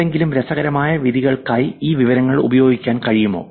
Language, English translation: Malayalam, Is it possible to use this information for making any interesting judgments